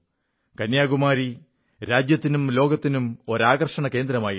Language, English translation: Malayalam, Kanyakumari exudes a special attraction, nationally as well as for the world